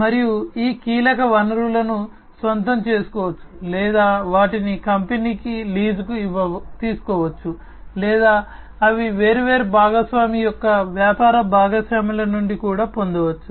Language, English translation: Telugu, And these key resources can be owned or they can be leased by the company or they can they can be even acquired from different partner’s business partners